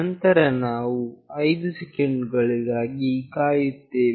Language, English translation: Kannada, Then we will wait for 5 seconds